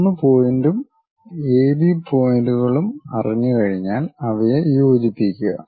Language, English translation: Malayalam, Once we know 1 point and AB points are known we can join them